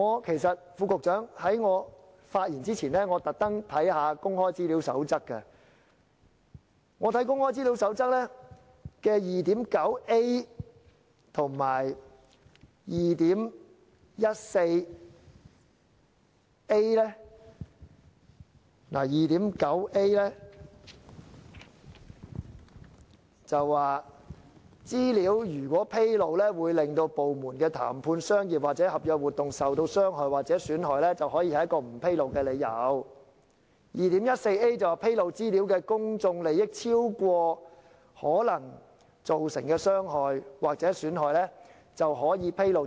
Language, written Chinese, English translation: Cantonese, 其實，局長，在我發言前，我特地翻閱了《公開資料守則》，當中第 2.9a 段指出：資料如果披露會令部門的談判、商業或合約活動受到傷害或損害，可以是一個不披露的理由；第 2.14a 段則指出：披露資料的公眾利益超過可能造成的傷害或損害，便可予以披露。, Secretary before I speak I especially refer to the Code on Access to Information . Paragraph 2.9a states that if the disclosure of information by a department would harm or prejudice negotiations commercial or contractual activities the department may refuse to disclose information; and paragraph 2.14a states that information may be disclosed if the public interest in disclosure outweighs any harm or prejudice that would result